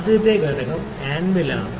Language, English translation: Malayalam, The first component is the anvil